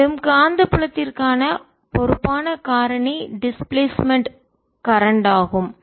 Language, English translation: Tamil, responsible factor for the magnetic field is the displaced current